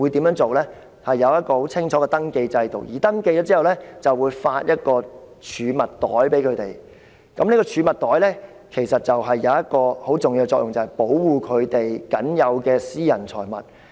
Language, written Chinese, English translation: Cantonese, 露宿者進行登記後，便會獲派發一個儲物袋。這個儲物袋其實有一個很重要的作用，就是保護他們僅有的私人財物。, In contrast what Taiwan does is establishing a clear registration system under which street sleepers will on registration be given a storage bag that serves the important function of protecting the only personal possessions they have